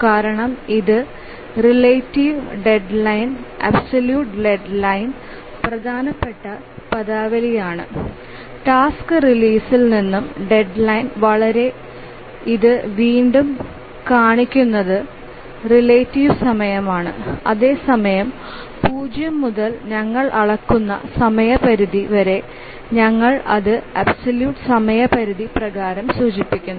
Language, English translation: Malayalam, So, here because this is important terminology, the relative deadline and the absolute deadline, just showing it again from the task release to the deadline is the relative time, whereas from time zero to the deadline we measure it, we indicated by the absolute deadline